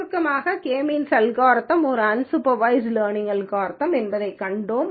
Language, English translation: Tamil, In summary, we have seen that k means algorithm is an unsupervised learning algorithm